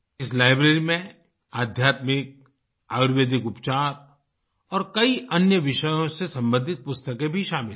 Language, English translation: Hindi, In this library, books related to spirituality, ayurvedic treatment and many other subjects also are included